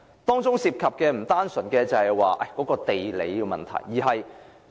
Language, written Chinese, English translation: Cantonese, 當中涉及的不單是地理位置的問題。, The problem involved is not only limited to geographical location